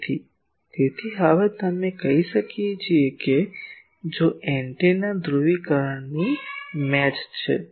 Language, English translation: Gujarati, So, by that so now we can ask that if the antenna is polarisation match